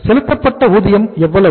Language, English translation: Tamil, What is the total amount of wages paid